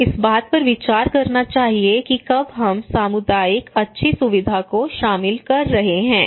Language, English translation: Hindi, So that we should consider in when we are involving community good facilitation